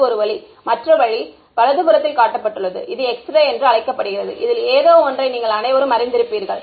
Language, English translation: Tamil, And that is one way and the other way is shown on the right is what is called an X ray which is also something you are all familiar with right